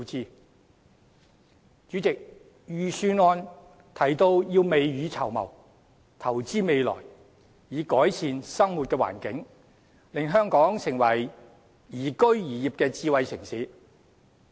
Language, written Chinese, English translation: Cantonese, 代理主席，預算案提到要未雨綢繆，投資未來，以改善生活環境，令香港成為宜居宜業的智慧城市。, Deputy Chairman the Budget mentioned the need to make early preparation and invest for the future in order to improve our living environment and make Hong Kong an ideal smart city to work and live in